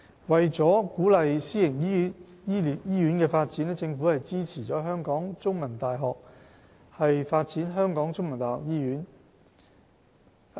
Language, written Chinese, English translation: Cantonese, 為鼓勵私營醫院發展，政府支持香港中文大學發展香港中文大學醫院的建議。, To encourage the development of private hospitals the Government supports The Chinese University of Hong Kong CUHK to develop The Chinese University of Hong Kong Medical Centre CUHKMC